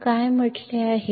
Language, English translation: Marathi, So, what is said